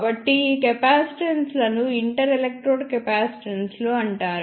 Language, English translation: Telugu, So, these capacitances are known as inter electrode capacitances